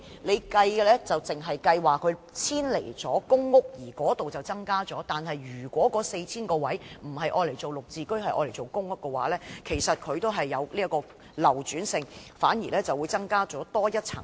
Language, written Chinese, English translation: Cantonese, 政府只計算遷離公屋的租戶所增加的單位，但如果那 4,000 個單位不用作"綠置居"，改為出租公屋的話，其流轉性反而會有所增加。, The Government only calculates the number of additional PRH units vacated by tenants moving out of PRH . However if those 4 000 units are used as PRH instead of GSH units the turnover rate will actually increase . In fact the original intent of GSH was not to serve as a housing ladder